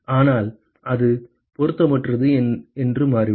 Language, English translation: Tamil, But it just turns out that it is irrelevant